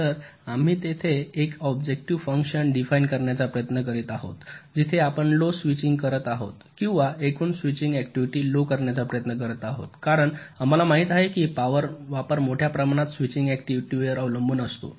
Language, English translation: Marathi, so here we are trying to define an objective function where we are minimizing or trying to minimize the total switching activity, because we know that the power consumption is greatly dependent on the switching activity